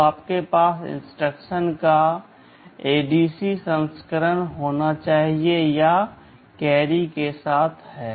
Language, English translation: Hindi, So, you should have an ADC version of instruction, this is add with carry